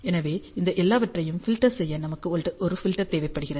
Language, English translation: Tamil, So, we basically need a filter to filter out all these things